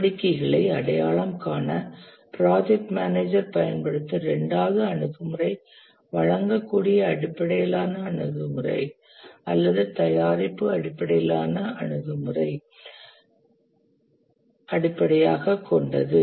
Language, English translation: Tamil, The second approach that the project manager uses to identify the activities is based on a deliverable based approach or product based approach